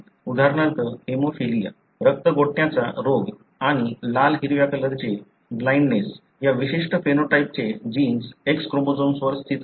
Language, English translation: Marathi, For example hemophilia, the blood clotting disease and red green colour blindness, the genes for this particular phenotype is located on the X chromosome